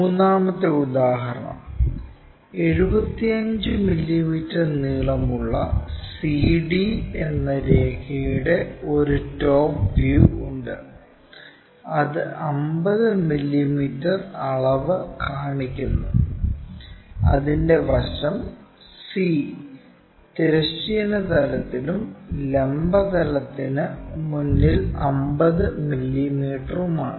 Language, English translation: Malayalam, The third example is there is a top view in that 75 mm long line CD which measures 55 50 mm; and its end C is in horizontal plane and 50 mm in front of vertical plane